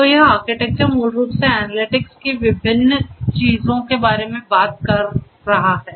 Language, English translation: Hindi, So, this architecture basically does not talk about so many different things of analytics